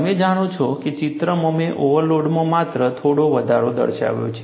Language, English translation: Gujarati, You know, in the picture, I have shown only a smaller increase, in the overload